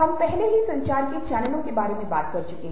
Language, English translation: Hindi, we have already talked about channels of communications